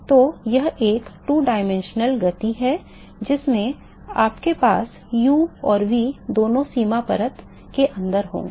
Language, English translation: Hindi, So, it is a 2 dimensional motion you will have both u and v inside the boundary layer